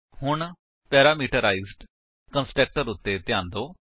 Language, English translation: Punjabi, Now, notice the parameterized constructor